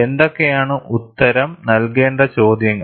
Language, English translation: Malayalam, And what are the questions that need to be answered